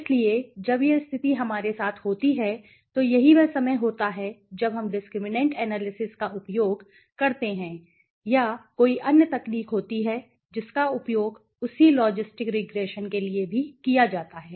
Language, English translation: Hindi, So, when this condition occurs to us so that is the right time when we use discriminant analysis or there is another technique which is also used for the same called logistic regression